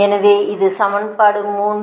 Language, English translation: Tamil, so this is actually equation three, right